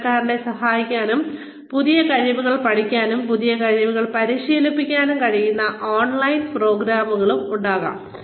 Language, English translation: Malayalam, There could also be online programs, that could help employees, learn new skills, and practice the new skills, they learn